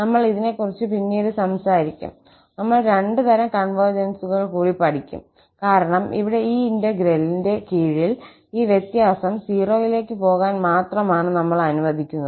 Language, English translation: Malayalam, We will be talking about it later, we will study two more types of convergence, because here, we are letting only that this difference under this integral goes to 0